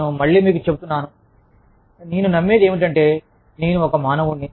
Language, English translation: Telugu, I again, i am telling you, as i like to believe, that i am a human being